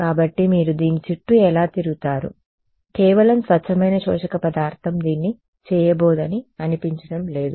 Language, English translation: Telugu, So, how will you get around this, it does not seem that just pure absorbing material is not going to do it